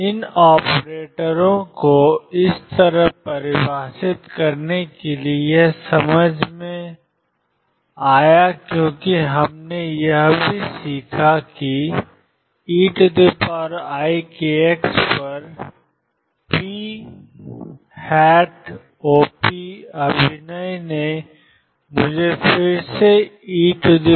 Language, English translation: Hindi, This made sense to define these operators like this because we also learnt that p operator acting on e raise to i k x gave me momentum times e raise to i k x again